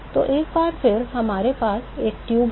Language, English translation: Hindi, So, once again we have a tube